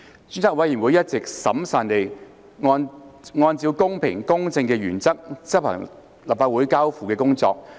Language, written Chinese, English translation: Cantonese, 專責委員會一直審慎地按照公平、公正的原則執行立法會交付的工作。, The Select Committee has all along adhered to the principles of being impartial and fair in carrying out its work referred by the Council in a prudent manner